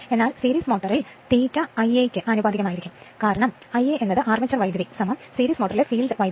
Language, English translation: Malayalam, But in the series motor phi is proportional to I a, because I a nothing, but the armature current is equal to field current in series motor